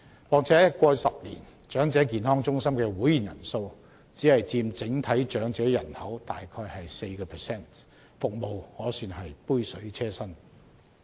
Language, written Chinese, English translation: Cantonese, 況且，過去10年，長者健康中心的會員人數只佔整體長者人口約 4%， 服務可算是杯水車薪。, Besides over the past 10 years the membership size of these Elderly Health Centres has merely accounted for around 4 % of the total elderly population and their services are far from enough to meet the needs